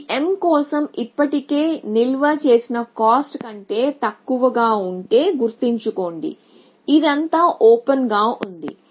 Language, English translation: Telugu, If this is less than the cost that was already stored for m, remember it is all open